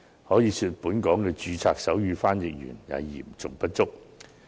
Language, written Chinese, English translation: Cantonese, 可以說，本港的註冊手語傳譯員嚴重不足。, We can say that registered sign language interpreters are seriously inadequate in Hong Kong